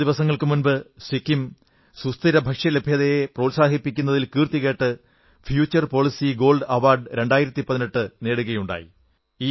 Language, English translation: Malayalam, A few days ago Sikkim won the prestigious Future Policy Gold Award, 2018 for encouraging the sustainable food system